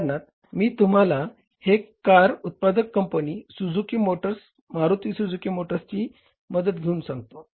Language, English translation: Marathi, For example, I give you the help of these car manufacturing companies, Suzuki Motors, Maruti Suzuki Motors, manufactures gearbox itself